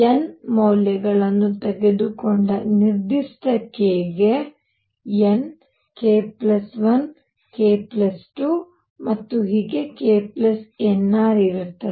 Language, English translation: Kannada, Also n for a given k who took values n k, k plus 1, k plus 2 and so on k plus n r